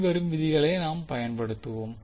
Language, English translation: Tamil, We will simply use the following rules